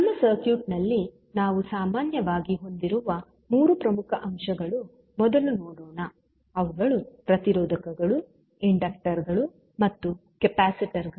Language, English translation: Kannada, So, let us first see the three key elements which we generally have in our circuit those are resisters, inductors and capacitors